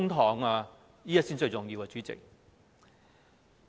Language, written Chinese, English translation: Cantonese, 這點才是最重要的，主席。, This is a most important point Chairman